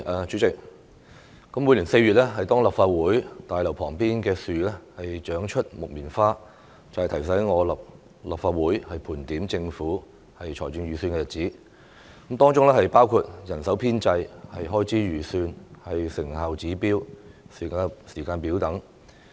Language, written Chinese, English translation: Cantonese, 主席，每年4月立法會大樓旁邊的樹長出木棉花，便提醒我立法會到了盤點政府財政預算的日子，當中包括人手編制、開支預算、成效指標和時間表等。, President in April each year the sight of cotton - tree flowers beside the Legislative Council Complex invariably reminds me that it is time for the Legislative Council to scrutinize the Budget of the Government including staffing establishment estimates of expenditure performance indicators and timetables